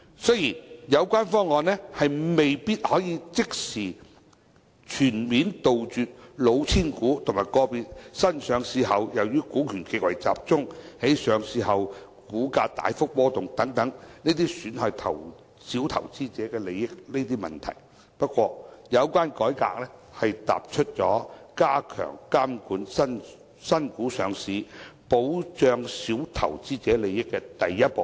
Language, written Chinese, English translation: Cantonese, 雖然有關方案未必可以即時及全面杜絕"老千股"和個別新股上市後由於股權極為集中，在上市後股價大幅波動等損害小投資者利益的問題。不過，有關改革踏出加強監管新股上市，保障小投資者利益的第一步。, Although the package of proposals may not be able to put an end immediately and completely to the problems like price volatility due to high shareholding concentration of cheating shares and individual new shares after being listed which result in causing damages to the interests of minor investors the reform concerned is a step forward in strengthening supervision of listing of new shares for the protection of interests of minor investors